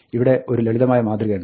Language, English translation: Malayalam, Here is a simple prototype